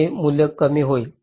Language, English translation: Marathi, this value will become less